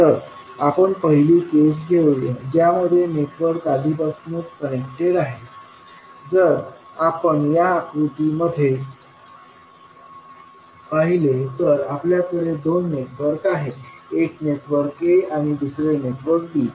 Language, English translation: Marathi, So, let us take first case that the network is series connected, so if you see in the figure these we have the two networks, one is network a and second is network b